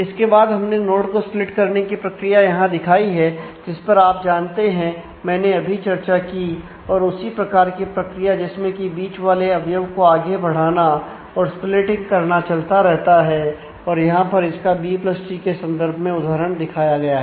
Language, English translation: Hindi, Then we have shown here the strategy to splitting the node, which I have just you know discussed and the same notion of propagating the middle element of the split continues here go to next and here the examples shown in terms of the B + tree